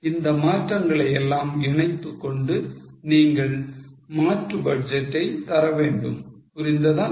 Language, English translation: Tamil, Now after incorporating these changes, you have to give alternate budget